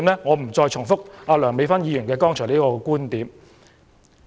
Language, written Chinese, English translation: Cantonese, 我不再重複梁議員剛才的觀點。, I will not repeat the viewpoints raised by Dr Priscilla LEUNG just now